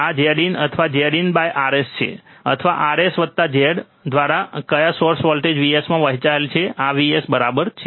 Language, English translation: Gujarati, This is Z in or Z in upon Rs or divided by Rs plus Z in into what source voltage V s, this is V s right